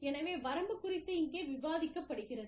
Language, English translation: Tamil, So, the range is discussed here